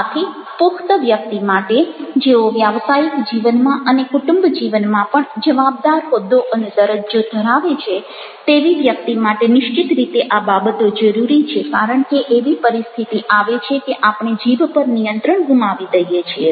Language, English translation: Gujarati, so all such things definitely are required for a matured person and those who are holding the responsible position in professional life, even in family life, because situation comes when we loose control over our tongue